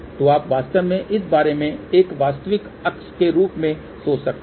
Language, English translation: Hindi, So, you can actually think about this as a real axis